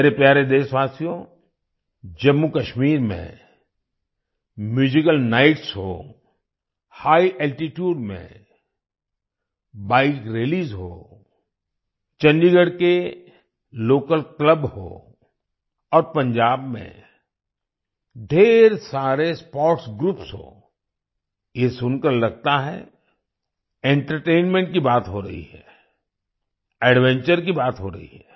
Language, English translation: Hindi, My dear countrymen, whether be the Musical Nights in Jammu Kashmir, Bike Rallies at High Altitudes, local clubs in Chandigarh, and the many sports groups in Punjab,… it sounds like we are talking about entertainment and adventure